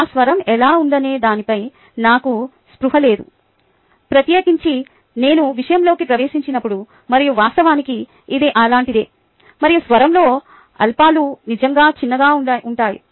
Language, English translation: Telugu, i am not very conscious of how my voice goes, especially when i am into the material, and actually it goes something like this: ok, and the lows are really low